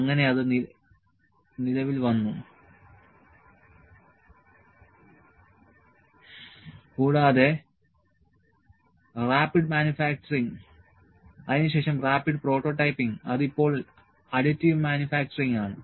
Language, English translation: Malayalam, So that came into play and rapid manufacturing then rapid prototyping which is now additive manufacturing